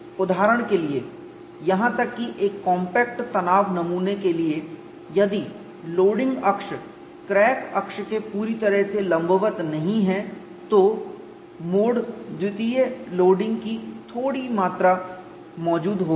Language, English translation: Hindi, For example, even for a compact tension specimen, if the loading axis is not exactly perpendicular to the crack axis, there are small amount of mode two loading will be present